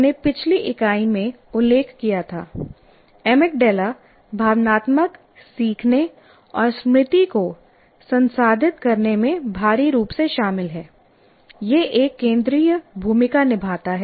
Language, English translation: Hindi, In either case, we mentioned earlier in the earlier unit, amygdala is heavily involved in processing emotional learning and memory